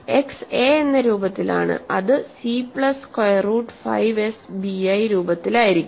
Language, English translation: Malayalam, Because x is of the form a, it will be of the form c plus square root 5s b i